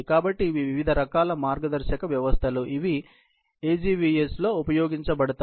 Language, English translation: Telugu, So, these are the various types of guidance systems, which are used in the AGVS